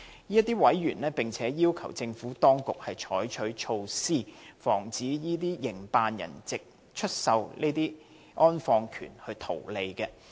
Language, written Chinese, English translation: Cantonese, 這些委員並要求政府當局採取措施，防止這些營辦人藉出售安放權圖利。, These members also request the Administration to take measures to prevent operators of such columbaria from making profit by way of selling interment rights